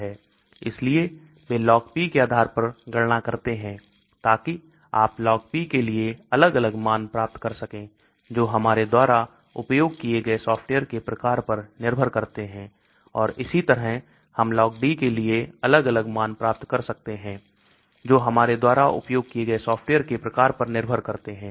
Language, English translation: Hindi, So they calculate Log P based on that so you get different values for Log P depending upon the type of software we use and similarly we get different values for Log D depending upon the type of softwares we use